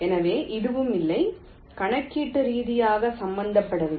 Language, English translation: Tamil, so this is also not very not computationally involved